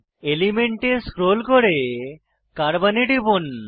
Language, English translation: Bengali, Scroll down to Element and click on Carbon